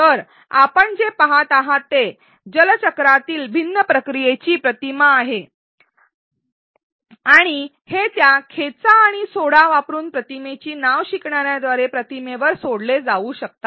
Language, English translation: Marathi, So, what do you see is an image of different processes in the water cycle and this is converted into labels that can be dragged or dropped dragged and dropped by the learner onto the image